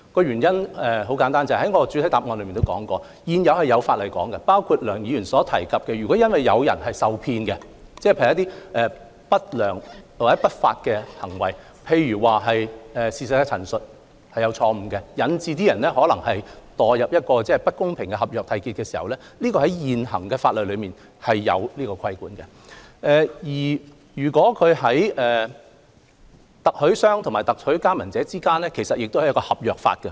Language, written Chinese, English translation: Cantonese, 原因很簡單，我在主體答覆亦有提及，在現行法例中，如發生梁議員所述有人基於另一締約方的不良或不法行為而受騙，例如錯誤陳述引致他們墮入不公平的合約締結陷阱，現行法例是有所規管的，而特許經營商與特許加盟者之間也受合約法規管。, The reason is very simple . As I have mentioned in the main reply under the present legislation if incidents described by Dr LEUNG have happened such as someone being cheated into entering into an unfair agreement owing to the undesirable or illegal acts such as misrepresentation of the other party to a contract such incidents can be regulated under the current legislation and the dealings between franchisors and franchisees are governed by the law of contract